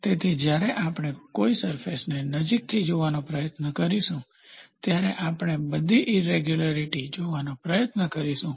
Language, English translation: Gujarati, So, when we try to see a surface closely, we will try to see lot of irregularities